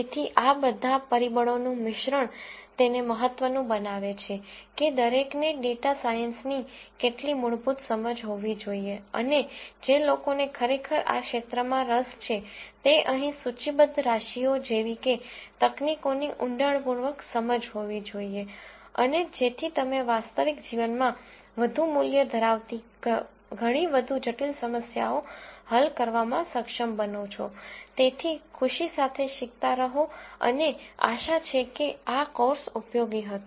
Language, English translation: Gujarati, So, a mix of all of these factors make it important that everyone have some fundamental understanding of data science and people who are really interested in this field have much more in depth understanding of techniques such as the ones that are listed here and so that you are able to solve much more complicated problems which have much more value in real life